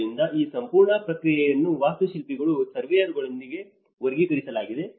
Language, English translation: Kannada, So, that is where this whole process has been categorized with the architects, surveyors